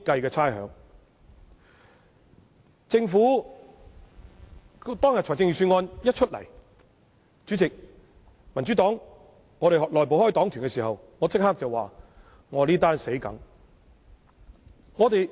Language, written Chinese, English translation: Cantonese, 在政府公布預算案的當日，民主黨內部開黨團會議，我當時立即說這次死定了。, On the day the Government announced the Budget the Democratic Party held a caucus meeting and I said right away that surely there would be big troubles